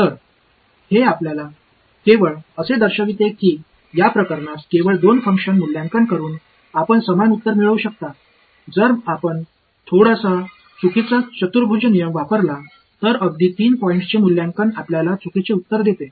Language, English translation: Marathi, So, this just shows you that you can get the same answer by having only 2 function evaluations in this case whereas, if you use a slightly inaccurate quadrature rule even a 3 point evaluation gives you the wrong answer ok